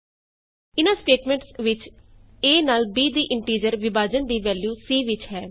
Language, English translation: Punjabi, In these statements, c holds the value of integer division of a by b